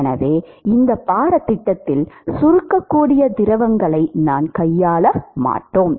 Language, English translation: Tamil, So, we will not deal with compressible fluids in this course